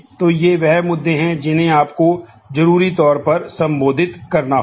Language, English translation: Hindi, So, these are the issues that necessarily you will have to be addressed